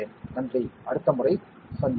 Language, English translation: Tamil, Thank you, see you next time